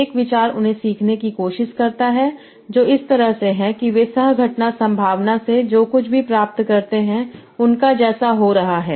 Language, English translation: Hindi, An idea is try to learn them that such that they are resembling their whatever you get from the co occurrence probability